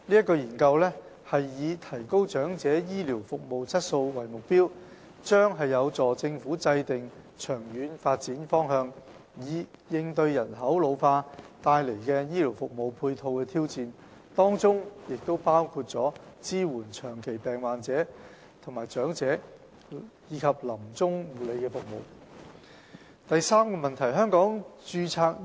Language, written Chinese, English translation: Cantonese, 該研究以提高長者醫療服務質素為目標，將有助政府制訂長遠發展方向，以應對人口老化帶來醫療服務配套的挑戰，包括支援長期病患者、長者及臨終護理服務。, With the aim of enhancing health care services for the elderly population the study will help the Government set its long - term development direction of health care services in response to the challenges of an ageing population including services for elderly people with chronic diseases and end - of - life care